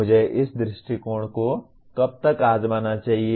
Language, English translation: Hindi, How long should I try this approach